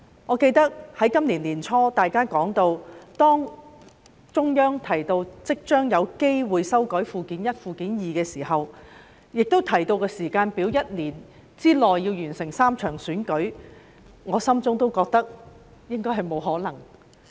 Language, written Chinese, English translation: Cantonese, 我記得在今年年初，當中央提到即將有機會修改《基本法》附件一和附件二，並提到時間表是要在1年內完成3場選舉的時候，我內心也認為應該不可能。, I remember that when the Central Authorities mentioned early this year the imminent possibility of amending Annex I and Annex II to Basic Law as well as a time frame of one year to complete three elections I just thought that it was not quite possible to do so